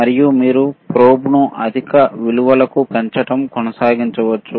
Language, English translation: Telugu, And you can keep on increasing the this probe to higher values